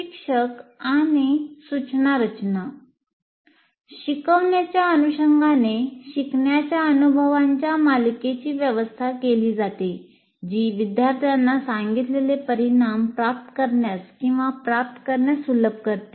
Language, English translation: Marathi, Instruction design consists of arranging a series of learning experiences that facilitate the students to acquire or attain certain outcome